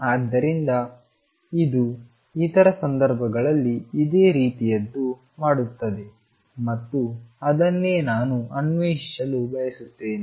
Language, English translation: Kannada, So, it does something similar happen in other cases and that is what we want to explore in